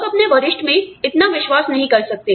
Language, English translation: Hindi, People may not trust their seniors, so much